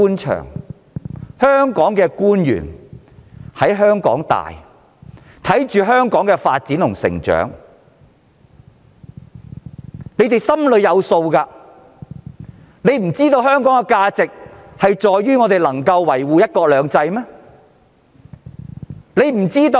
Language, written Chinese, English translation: Cantonese, 特區政府官員大多在香港土生土長，見證香港發展和成長，他們應該心裏有數，知道香港的價值在於維護"一國兩制"。, The SAR government officials who were mostly born and bred in Hong Kong have witnessed Hong Kongs development and growth . They should know full well that Hong Kongs value lies in the protection of one country two systems